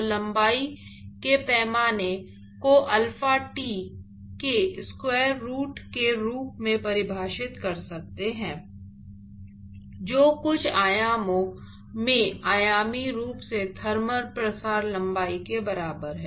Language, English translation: Hindi, So, one could define a length scale as square root of alpha t; which is in some sense dimensionally is equal to the thermal diffusion length